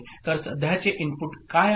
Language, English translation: Marathi, So what is the current input